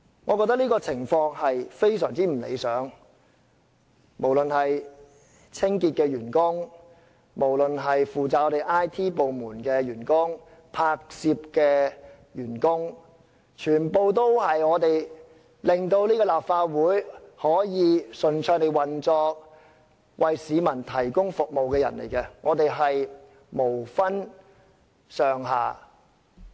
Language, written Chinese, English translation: Cantonese, 我覺得這種情況非常不理想，無論是清潔員工、IT 部門的員工、負責拍攝的員工，全部都是令立法會可以順暢地運作並為市民提供服務的人，我們無分高低。, I find it an utterly undesirable situation . Whether they are cleaning staff staff of the information technology department or staff in charge of photography altogether they enable the Legislative Council to smoothly operate and provide services to citizens . None of us is noble or humble